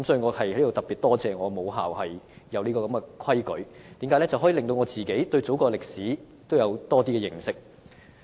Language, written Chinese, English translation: Cantonese, 我在此特別感謝我的母校訂立有關規定，讓我對祖國歷史有多些認識。, Here I would like to specially thank my alma mater for imposing this requirement so that I was able to have more understanding of the history of my native country